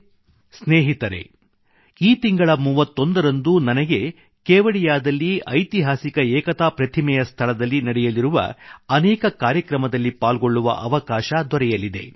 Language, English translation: Kannada, Friends, on the 31stof this month, I will have the opportunity to attend many events to be held in and around the historic Statue of Unity in Kevadiya…do connect with these